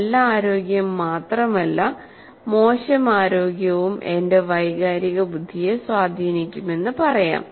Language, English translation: Malayalam, I can also say better health as well as bad health will also influence my emotional intelligence